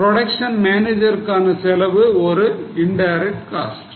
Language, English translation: Tamil, Cost of production manager, indirect cost